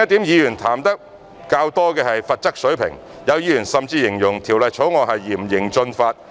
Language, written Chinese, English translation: Cantonese, 議員談得較多的另一點是罰則水平，有議員甚至形容《條例草案》是嚴刑峻法。, The level of penalty is another issue which is often touched on by Members some of them even described the Bill as draconian